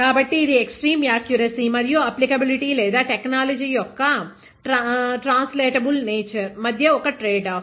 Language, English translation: Telugu, So, it is a tradeoff between extreme accuracy and applicability or translatable nature of technology